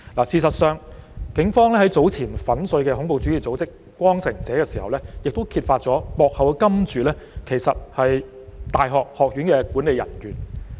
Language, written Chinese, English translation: Cantonese, 事實上，警方在早前粉碎恐怖主義組織"光城者"時，亦揭發了幕後金主其實是大學學院的管理人員。, As a matter of fact when the Police cracked down on a terrorist group called Returning Valiant earlier on they also revealed that the financial supporter behind the scene was indeed a university management staff